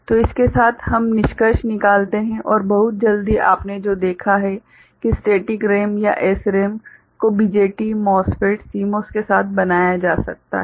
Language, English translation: Hindi, So, with this we conclude and what you have seen very quickly that static RAM or SRAM can be made with BJT, MOSFET, CMOS ok